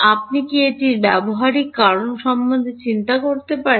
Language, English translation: Bengali, Can you think of a practical reason for doing this